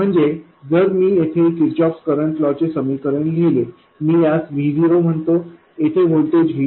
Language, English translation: Marathi, So if I write Kirkoff's current law equation here let me call this V O, okay